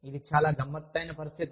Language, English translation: Telugu, That is a very tricky situation